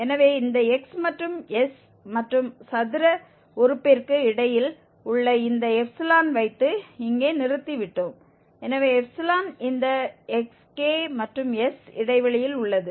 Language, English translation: Tamil, So, we have just stopped here by putting this xi which lies between this x and s and then square term so the xi is in the interval of this x k and s